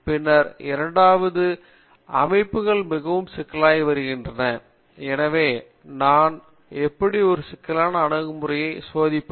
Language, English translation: Tamil, Then the second line is that the systems are becoming very complex, so how do I model a complex system and then how do I verify it is working correctly